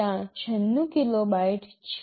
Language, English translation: Gujarati, There is 96 kilobytes of that